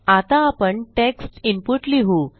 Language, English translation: Marathi, Now we will have a text input